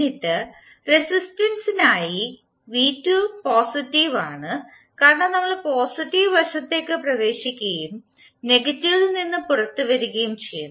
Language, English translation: Malayalam, And then for the resistance, v¬2¬ is positive because we are entering into the positive side and coming out of negative